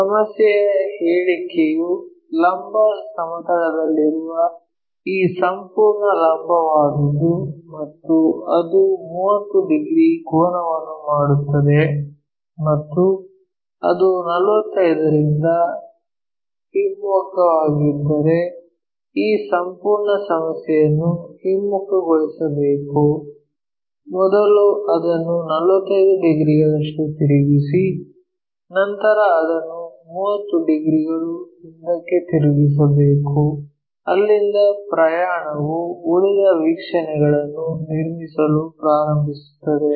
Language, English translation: Kannada, The problem statement is this entire vertical one on the vertical plane and it makes 30 degrees angle and then it is flipped by 45, if that is the case we have to reverse this entire problem first flip it by 45 degrees and then turn it back 30 degrees from there begin the journey construct the remaining views